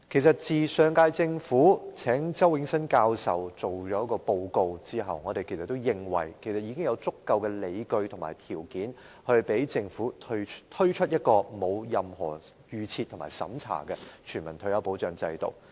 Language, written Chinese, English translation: Cantonese, 自上屆政府邀請周永新教授進行研究和提交報告後，我們認為已有足夠的理據和條件，讓政府推出沒有任何預設和審查的全民退休保障制度。, After Prof Nelson CHOW at the invitation of the last - term Government conducted studies and submitted a report we consider that there are already sufficient grounds and conditions for the Government to introduce a non - means - tested universal retirement protection scheme without any preconception